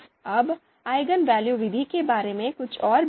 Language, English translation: Hindi, Now few more points about eigenvalue method